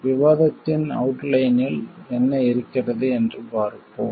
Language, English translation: Tamil, Let us see, what is there in the outline of the discussion